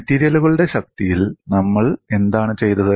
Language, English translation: Malayalam, What we did in strength of materials